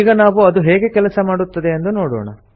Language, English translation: Kannada, Let us see how it is implemented